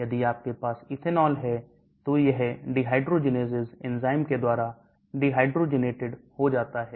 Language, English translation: Hindi, ethanol if you have it gets dehydrogenase enzymes dehydrogenated